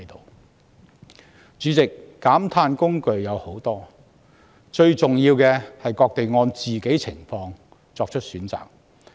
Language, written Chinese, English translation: Cantonese, 代理主席，減碳工具眾多，最重要的是各地按個別情況作出選擇。, Deputy President there are many tools of decarbonization and it is of vital importance that various places make a choice depending on their own circumstances